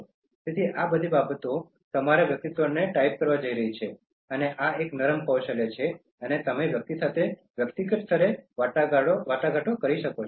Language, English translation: Gujarati, So, all these things are going to typify your personality, and this is a soft skill that when you are able to negotiate with individual to individual level